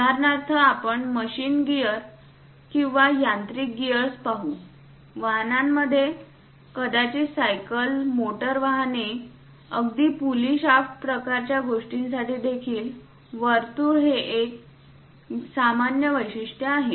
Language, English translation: Marathi, For example, let us look at any machine gear or mechanical gears; in automobiles, perhaps for cycle, motor vehicles, even pulley shaft kind of things, the circles are quite common features